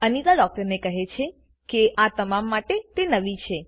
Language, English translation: Gujarati, Anita tells the doctor that she is new to all this